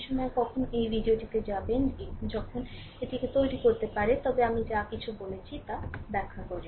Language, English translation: Bengali, When you will go through this video at that time you can make it, but everything I have explained right